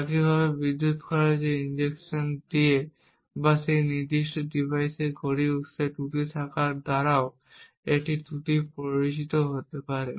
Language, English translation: Bengali, Similarly a fault can also be induced by injecting glitches in the power consumption or by having a glitch in the clock source for that specific device